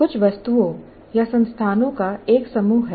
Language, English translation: Hindi, There are a set of some objects or entities as you call